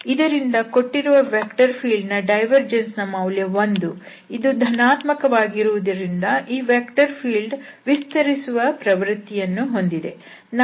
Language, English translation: Kannada, So, we have the divergence for this given vector field is 1, which is positive that means, the tendency of this vector field is for the expansion